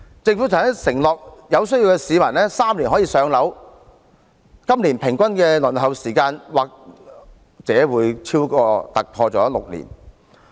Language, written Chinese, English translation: Cantonese, 政府曾承諾有需要的市民3年可以"上樓"，但今年公屋的平均輪候時間或會突破6年。, The Government once promised that people in need would be allocated with public rental housing in three years but this year the average waiting time may likely exceed six years